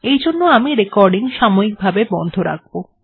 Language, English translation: Bengali, In view of this, I will do a pause of the recording